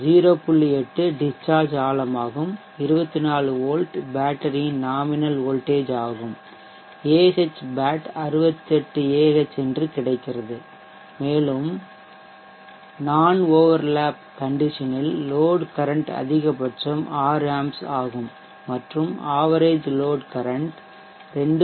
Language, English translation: Tamil, 8 depth of discharge into 24V is the battery in other voltage and this comes out to be is 68Ah and we have seen earlier that the load current maximum is around 6A and normal lat condition and the load current average is around 2